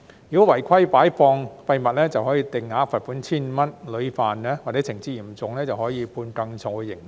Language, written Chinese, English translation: Cantonese, 如果違規擺放廢物，可以遭定額罰款 1,500 元，屢犯或情節嚴重可以判更重刑罰。, Any illegal depositing of waste will be subject to a fixed penalty of 1,500 while repeated or serious violations will be liable to heavier penalties